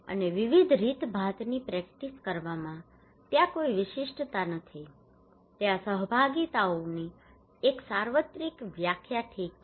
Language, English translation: Gujarati, And practised in different manners there is no unique there is the one universal definition of participations okay